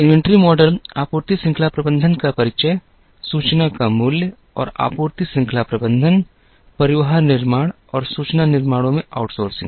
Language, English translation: Hindi, Inventory models, introduction to supply chain management, value of information and outsourcing in supply chain management, transportation decisions and information decisions